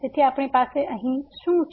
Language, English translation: Gujarati, So, what do we have here